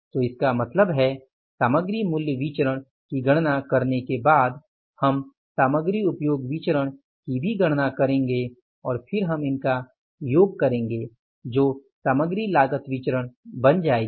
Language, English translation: Hindi, So, it means then we will after calculating the material price variance, we will calculate the material quantity or the material usage variance and then we will say sum it up so it will become the material cost variance